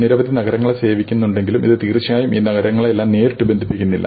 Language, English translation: Malayalam, And of course, although it serves several cities, it does not really connect all these cities directly